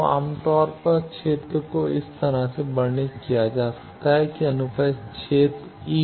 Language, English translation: Hindi, So, generally the field can be described like this that transverse field e t